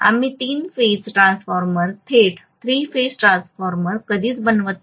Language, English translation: Marathi, We never make the three phase transformer directly three phase transformer